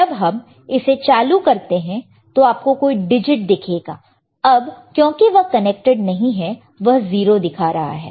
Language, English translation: Hindi, If I turn it on we see some kind of digits right, actually it is not connected so, it is showing 0 right